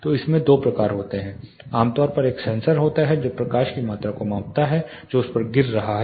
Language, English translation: Hindi, So, in this there are two types typically there is a sensor which is capturing the amount of light which is falling on it